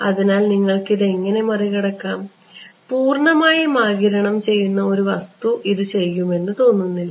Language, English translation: Malayalam, So, how will you get around this, it does not seem that just pure absorbing material is not going to do it